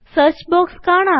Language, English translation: Malayalam, The Search box appears